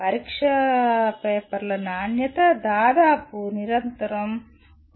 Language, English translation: Telugu, The quality of the exam papers have been more or less continuously coming down